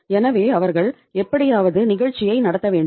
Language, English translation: Tamil, So they have to run the show somehow